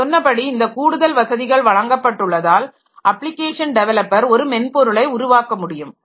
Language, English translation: Tamil, So, as I said that some extra thing that are provided by which the application developers they can develop their piece of software